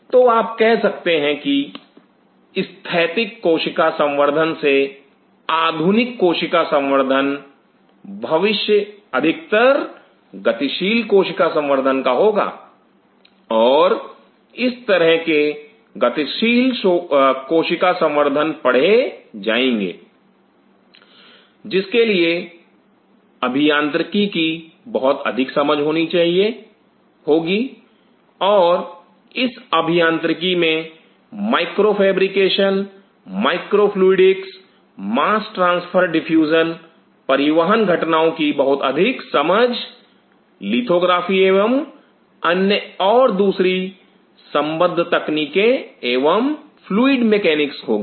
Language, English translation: Hindi, So, you can say that modern cell culture from static cell culture the future will be more of a dynamic cell culture and such dynamic cell culture will be read, needing lot of understanding of engineering and within engineering micro fabrication, micro fluidics, mass transfer diffusion, lot of understanding of transport phenomena, lithography and other and other allied techniques and fluid mechanics